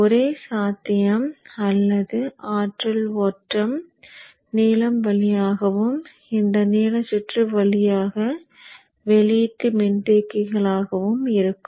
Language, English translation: Tamil, So therefore, the only possibility of energy flow is through the blue and through this blue circuit into the output capacitors and are not